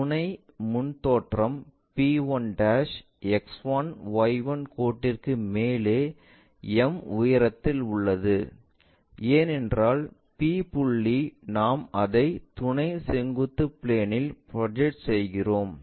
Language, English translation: Tamil, The auxiliary front view p1' will also be at a height m above the X1Y1 line, because the point p we are projecting it onto auxiliary vertical plane